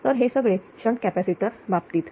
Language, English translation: Marathi, Now whenever you put shunt capacitor